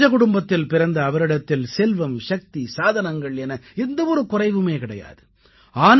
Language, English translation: Tamil, She was from a royal family and had no dearth of wealth, power and other resources